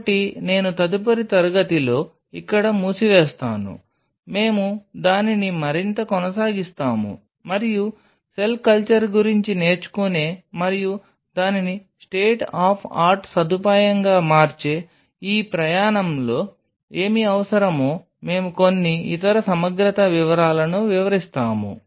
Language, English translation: Telugu, So, I will close in here in the next class we will continue it further and we will explain some of the other integrity details what will be needing in this journey of learning about cell culture and making it a state of art facility